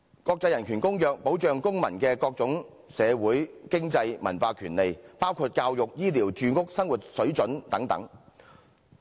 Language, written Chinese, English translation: Cantonese, 國際人權公約保障公民的各種社會、經濟、文化權利，包括教育、醫療、住屋、生活水準等。, International human rights conventions safeguard the various social economic and cultural rights of citizens including education health care housing standard of living and so on